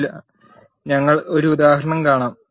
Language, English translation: Malayalam, We will see an example for this